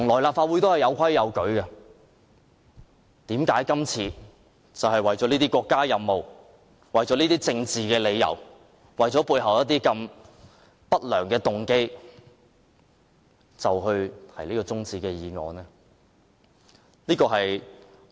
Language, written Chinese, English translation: Cantonese, 立法會向來是有規有矩的，為何今次為了國家任務、政治理由、背後一些不良的動機而提出休會待續議案？, The Legislative Council has all along followed established rules and procedures . How can the Government move this motion for adjournment for the sake of a state mission for certain political reasons and ulterior motives?